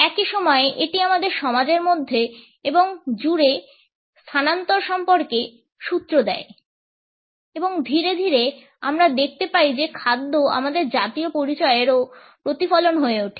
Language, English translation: Bengali, At the same time it gives us clues about the migration within and across societies and gradually we find that food becomes a reflection of our national identities also